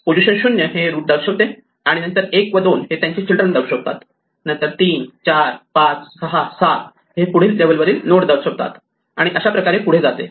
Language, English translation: Marathi, The position 0 represents a root then in order 1 and 2 represent the children, then 3, 4, 5, 6, 7 nodes are the next level and so on